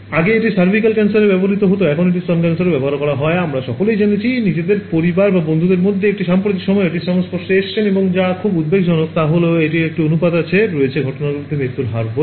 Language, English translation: Bengali, Earlier it used to be cervical cancer, now it is breast cancer and we have all heard amongst are you know extended families, in friends circle some one of the other has got it in recent times and what is very alarming is that there is a ratio called mortality to incidents